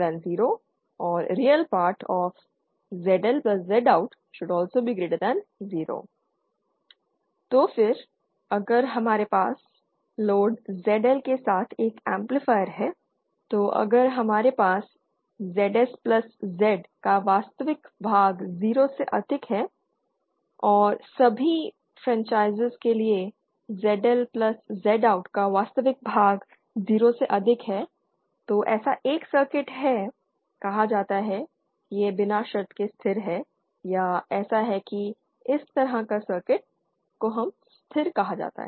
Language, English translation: Hindi, So then the if we have an say an amplifier with load ZL then if we have real part of ZS plus Z IN greater than 0 and real part of ZL plus Z OUT greater than 0 for all frequencies then such a such a circuit is said to be unconditionally stable or such a